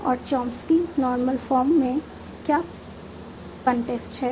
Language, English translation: Hindi, And what is the constraint in Chomsky Normal Form